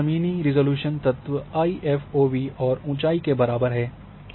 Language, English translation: Hindi, So, this ground resolution element is equal to IFOV and height